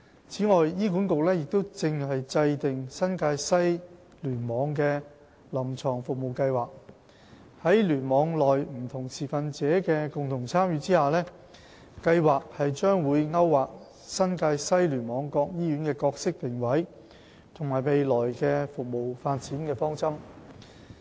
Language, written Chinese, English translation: Cantonese, 此外，醫管局正制訂新界西聯網的"臨床服務計劃"，在聯網內不同持份者的共同參與下，計劃將會勾劃新界西聯網各醫院的角色定位和未來的服務發展方針。, In addition HA is developing a Clinical Services Plan CSP for the NTW Cluster mapping out the roles and future service development directions of hospitals in the cluster with the participation of the various stakeholders in the cluster